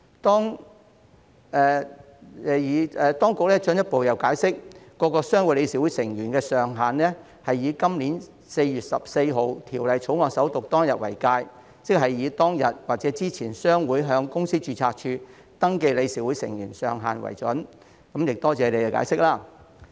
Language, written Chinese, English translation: Cantonese, 當局亦進一步解釋，各商會理事會成員人數上限是以今年4月14日《條例草案》首讀當天為界，即以商會在當天或之前向公司註冊處登記的理事會成員人數上限為準，多謝局方的解釋。, The authorities also further explained that the maximum number of board members of each trade association will be limited to that as at the date of the First Reading of the Bill on 14 April this year that is based on the maximum number of board members as registered with the Companies Registry on or before that date . I appreciate the explanation given by the Bureau